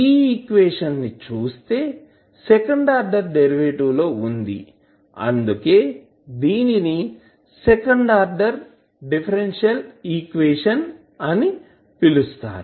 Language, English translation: Telugu, So, now if you see the equation as a second order derivative so that is why it is called as a second order differential equation